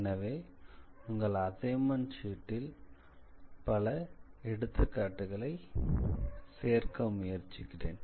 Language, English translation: Tamil, So, I will try to include some examples in your assignment sheet